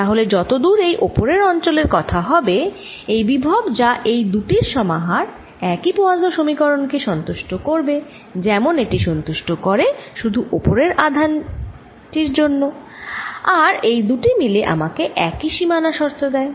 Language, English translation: Bengali, so as far the upper region is concerned, the potential, which is a combination of these two, satisfies the same poisson's equation as it [C30]satisfies only for the upper charge and the two to together give me the same boundary condition